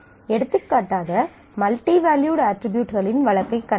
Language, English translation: Tamil, For example, we have seen the case of multivalued attributes